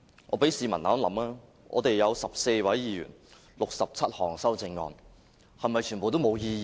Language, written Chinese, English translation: Cantonese, 我請市民想一想，我們有14位議員 ，67 項修正案，是否全部都沒有意義？, I really want to ask of the public to consider whether all the 67 amendments put forward by the 14 of us are really and totally meaningless